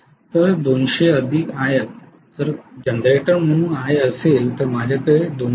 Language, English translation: Marathi, So 200 plus IF will be IA as a generator, so I am going to have 202